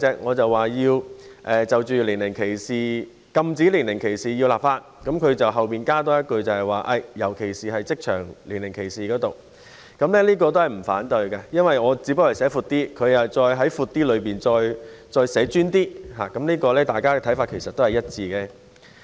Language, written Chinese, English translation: Cantonese, 我提出要立法禁止職場年齡歧視行為，而他則在後面多加一句尤其是職場年齡歧視，所以我亦不反對這項建議，因為我把範圍寫得闊一點，而他只是在我的建議範圍內稍為再集中一點，大家的想法其實是一致的。, I propose enacting legislation against age discrimination in the workplace while he adds including age discrimination in workplace at the end . I will not object to this because while I wish to cover a wider scope he seeks to be more focused within the scope of my proposals with the same objective in mind